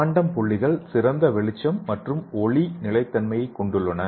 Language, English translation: Tamil, And quantum dots have excellent brightness and photo stability